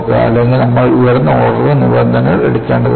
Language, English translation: Malayalam, Or, do we have to take higher order terms